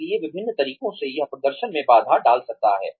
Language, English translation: Hindi, So, various ways in which, this can hamper performance